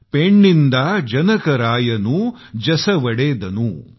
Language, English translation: Marathi, Penninda janakaraayanu jasuvalendanu